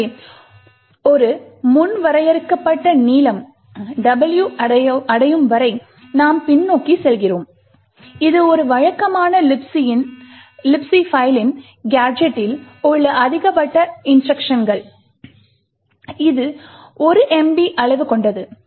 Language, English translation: Tamil, So, we keep going backwards until a predefined length W is achieved, which is the maximum number of instructions in the gadget in a typical libc file which is about 1 megabyte in size